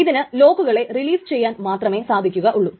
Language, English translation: Malayalam, It cannot release locks